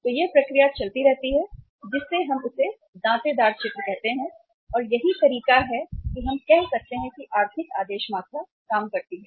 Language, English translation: Hindi, So this process keeps on moving which we call it as the saw toothed picture and this is the way we can say that economic order quantity works